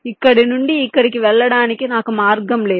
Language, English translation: Telugu, i do not have any path to to take from here to here